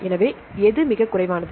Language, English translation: Tamil, So, which one has a lowest